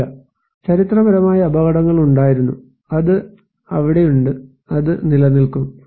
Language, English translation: Malayalam, No, historically hazards were there, it is there and it will remain